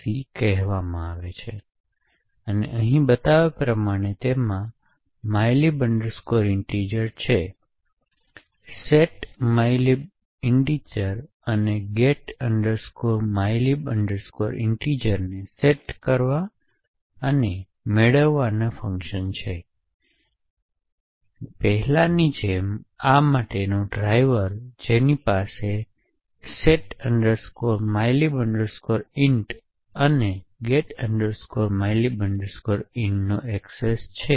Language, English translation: Gujarati, c and which is as shown over here it has mylib int, setmylib int and getmylib int to set and get functions and the driver for this as before is here which has an invocation to setmylib int and getmylib int